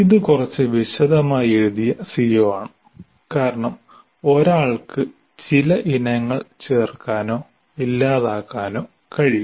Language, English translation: Malayalam, That is a CO written somewhat elaborately because one can add or delete some of the items in this